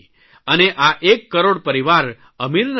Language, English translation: Gujarati, These one crore are not wealthy families